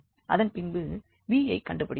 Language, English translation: Tamil, Similarly, we can discuss for v